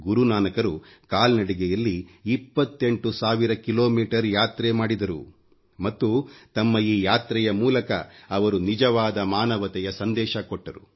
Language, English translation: Kannada, Guru Nanak Dev ji undertook a 28 thousand kilometre journey on foot and throughout the journey spread the message of true humanity